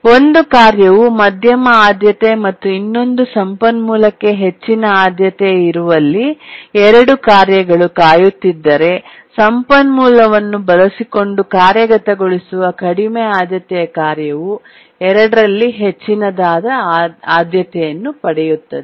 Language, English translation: Kannada, If there are two tasks which are waiting, one is medium priority, one is high priority for the resource, then the lowest, the low priority task that is executing using the resource gets the priority of the highest of these two, so which is it